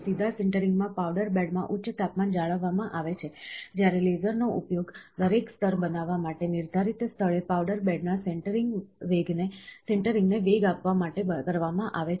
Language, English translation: Gujarati, In direct sintering, a high temperature is maintained in the powder bed, when the laser is utilised to accelerate sintering of the powder bed in the prescribed location to form each layer